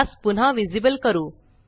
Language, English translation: Marathi, Lets make it visible again